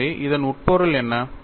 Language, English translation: Tamil, So, what is the implication